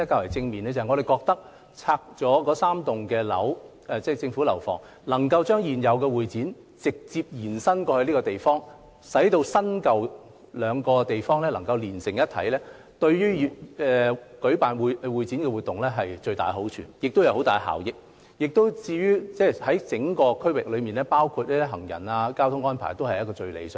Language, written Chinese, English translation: Cantonese, 我們認為拆掉3座政府大樓後，能夠將現有會展中心直接延伸至新建的設施，令新舊兩個設施連成一體，將為舉辦會展活動帶來莫大好處及巨大效益；而且考慮到整個區域的影響，包括行人和交通安排，這個方法也是最理想的。, We hold that after demolishing the three government buildings the existing HKCEC can be extended and connected to the newly - built facilities direct integrating the existing facilities with the new ones thereby bringing enormous benefits and effectiveness to the hosting of CE activities . Also considering the impact on the whole area including pedestrian and traffic arrangements this option is the most desirable